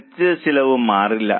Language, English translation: Malayalam, So, it remains a fixed cost